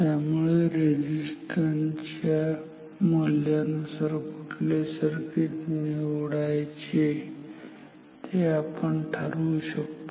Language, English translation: Marathi, So, depending on the a value of the resistance we may decide which circuit to choose